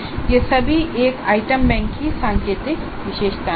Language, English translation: Hindi, So these are all the indicative features of an item bank